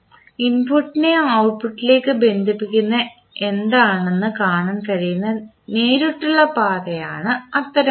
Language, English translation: Malayalam, One such path is the direct path which you can see which is connecting input to output